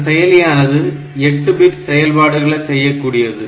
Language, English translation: Tamil, So, it can it does 8 bit operations at a time